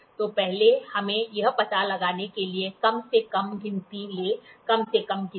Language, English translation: Hindi, So, first let us take the least count to be figured it out, least count